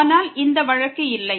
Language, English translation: Tamil, But this is not the case